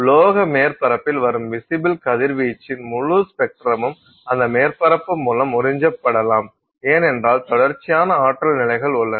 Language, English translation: Tamil, So, the entire spectrum of visible radiation that arrives at a metallic surface can be absorbed by that surface okay because there are a continuous set of energy levels